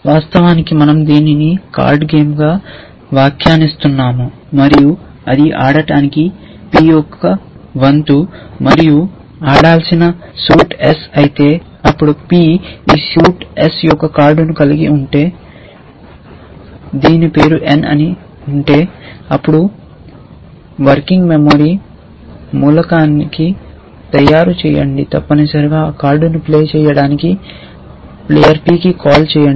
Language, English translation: Telugu, Of course, we are interpreting it as a card game that, if it is p’s turn to play and if the suit in plays s, and if p has a card of this suit s whose name is n then make working memory element called play player p that card essentially